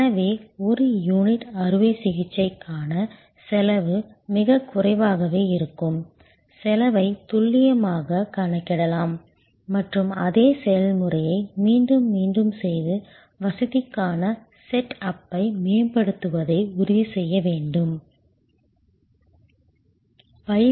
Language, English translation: Tamil, So, the per unit surgery cost will be varying very little, cost could be accurately calculated and same procedure repetitively performed could ensure optimize set up for the facility